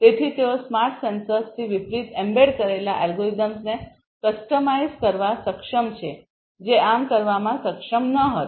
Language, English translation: Gujarati, So, they are capable of customizing embedded algorithms on the fly unlike the smart sensors which were not able to do so